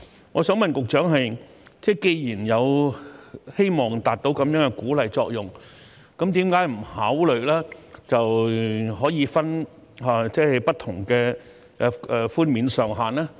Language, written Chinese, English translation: Cantonese, 我想問局長，既然希望達到這樣的鼓勵作用，為何不考慮設立不同的寬免上限呢？, I would like to ask the Secretary since it is our hope to achieve such an incentive effect why is no consideration given to setting different caps on the concessions?